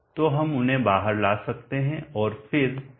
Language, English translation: Hindi, So we can bring them out and then d Q/dt